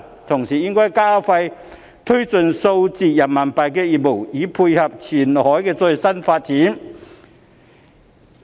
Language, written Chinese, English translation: Cantonese, 同時，應該加快推進數字人民幣業務，以配合前海的最新發展。, At the same time we should expedite the development of digital RMB business to complement the latest development in Qianhai